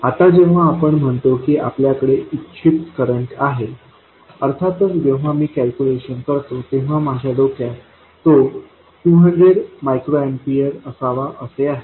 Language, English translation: Marathi, Now, when we say we have a desired current, of course when calculating I have it in my mind that it should be 200 microamperors